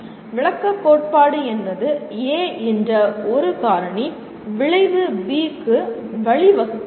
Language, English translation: Tamil, Descriptive theory means a cause A leads to effect B